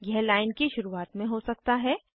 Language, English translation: Hindi, It may be at the beginning of the line